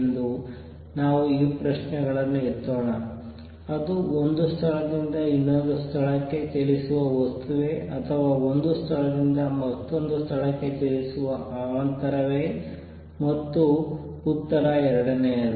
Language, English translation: Kannada, So, let us raise this question; is it a material moving from one place to another or is it a disturbance moving from one place to another and the answer is second one